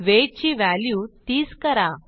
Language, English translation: Marathi, Change weight to 30